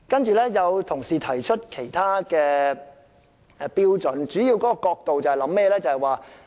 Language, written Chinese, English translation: Cantonese, 此外，有同事提出其他標準，其主要角度是甚麼呢？, Moreover some colleagues have put forth other criteria from different perspectives . What are they?